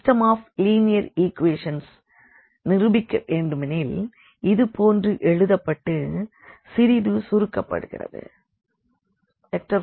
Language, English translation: Tamil, And we have to solve this system of linear equations which we can write down like again we can simplify this little bit